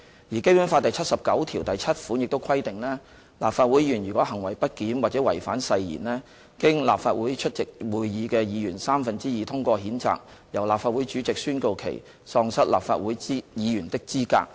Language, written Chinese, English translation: Cantonese, 而《基本法》第七十九七條亦規定，立法會議員如果"行為不檢或違反誓言而經立法會出席會議的議員三分之二通過譴責"，由立法會主席宣告其喪失立法會議員的資格。, As also stipulated in Article 797 of the Basic Law the President of the Legislative Council shall declare that a Member of the Council is no longer qualified for the office when he or she is censured for misbehaviour or breach of oath by a vote of two - thirds of the members of the Legislative Council present